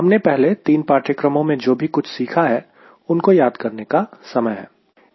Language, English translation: Hindi, this is the time to synthesize whatever we have learnt in earlier three courses